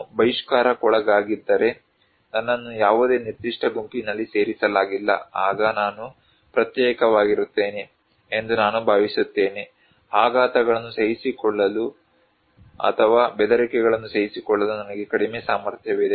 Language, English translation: Kannada, If I am outcasted, I am not included in any particular group then I feel that I am isolated; I have less capacity to absorb the shocks or absorb the threat